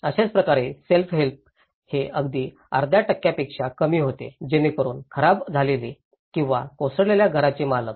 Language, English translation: Marathi, Self help similarly, it was almost less than half percentage that is where owner of badly damaged or collapsed house